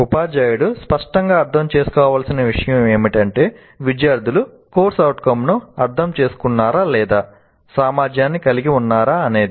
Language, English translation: Telugu, So one of the things teacher needs to clearly understand is whether the students have understood the, or the, whether C O, whether you use the word C O are the competency